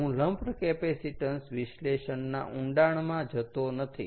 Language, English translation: Gujarati, i am not going to go to the details of lump capacitance analysis